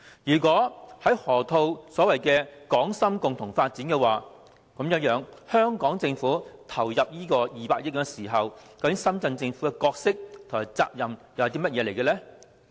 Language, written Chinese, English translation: Cantonese, 如果河套區是所謂的"港深共同發展"，那麼當香港政府投入200億元時，深圳政府的角色和責任又是甚麼？, If the Loop is to be jointly developed by Hong Kong and Shenzhen what are the role and the responsibilities of the Shenzhen Government when the Hong Kong Government invests 20 billion?